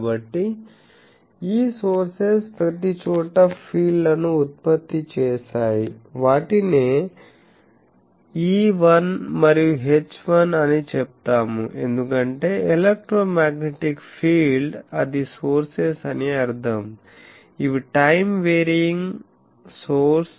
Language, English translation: Telugu, So, this sources has produced fields everywhere let us say E1 and H1, because electromagnetic field they will sources mean these are all time varying sources